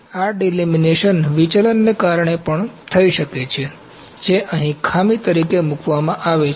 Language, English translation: Gujarati, This delamination can also due to deflection which is put as a defect here